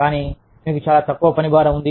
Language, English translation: Telugu, Either, you have too little workload